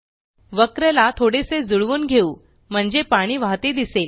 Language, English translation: Marathi, Lets adjust the curve so that it looks like flowing water